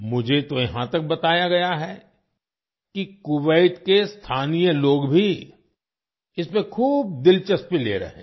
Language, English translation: Hindi, I have even been told that the local people of Kuwait are also taking a lot of interest in it